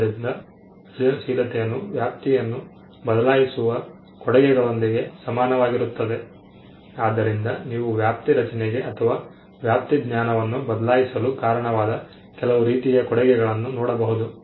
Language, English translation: Kannada, So, creativity came to be equated with domain changing contributions, so you could look at some similar contribution that led to creation of a domain or changing the knowledge and that domain